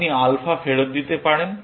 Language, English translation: Bengali, You can return alpha